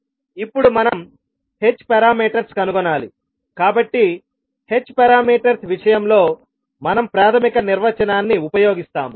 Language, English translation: Telugu, Now we need to find out the h parameters, so we will use the basic definition for in case of h parameters